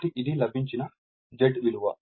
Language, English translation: Telugu, Therefore, this is my Z we got